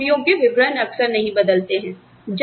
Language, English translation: Hindi, Where the jobs, do not change often